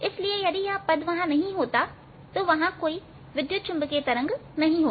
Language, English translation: Hindi, so if this term is not there, there will be no electromagnetic waves